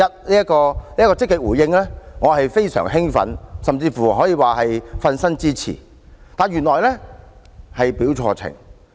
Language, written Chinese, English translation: Cantonese, 對於這項積極回應，我非常興奮，甚至可以說是"瞓身"支持，但原來卻是表錯情。, I was very glad to hear such a positive response and it could even be said that I gave my wholehearted support . Yet it turned out that I was totally mistaken